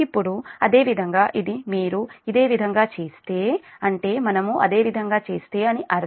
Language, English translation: Telugu, now, similarly, this, this in a similar way, if you do so, means similar way